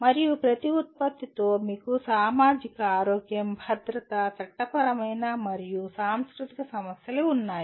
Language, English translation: Telugu, And with every product you have all the issues namely societal, health, safety, legal and cultural issues